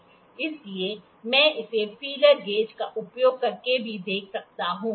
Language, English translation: Hindi, So, I can check it using the feeler gauge as well